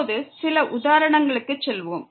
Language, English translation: Tamil, Let us go to some examples now